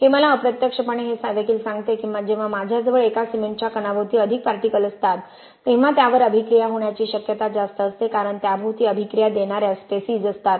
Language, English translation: Marathi, It also tells me indirectly that when I have more particles around one cement grain it is more likely to react because there are reacting species around it